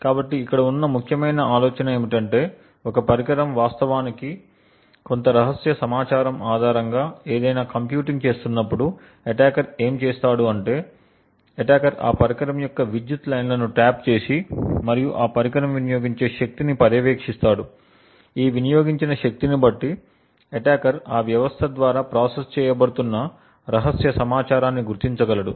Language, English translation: Telugu, So the essential idea over here is that when a device is actually computing something based on some secret information, what the attacker would do is that the attacker would tap the power lines of that device and monitor the power consumed by that device, using this power consumption, the attacker then would be able to identify the secret information that is being processed by that system